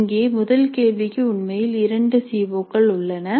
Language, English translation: Tamil, So here if you see the first question actually has two COs covered by that